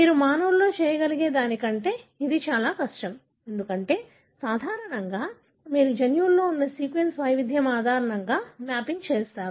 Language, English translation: Telugu, It is more difficult than what you can do with humans, because normally you do mapping based on the sequence variation that you have in the genome